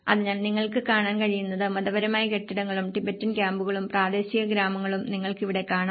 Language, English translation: Malayalam, So what you can see is the religious buildings and when you have the commercial spaces here and you have the Tibetan camps and the local villages